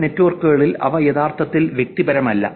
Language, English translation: Malayalam, In some networks they are not actually that personal